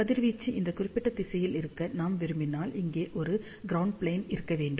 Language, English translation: Tamil, Since, we want the radiation to be in this particular direction, we need to have a ground plane over here